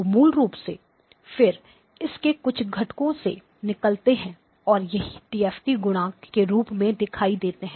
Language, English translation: Hindi, So basically, then it does have some component comes out of it and that is what shows up as the DFT coefficient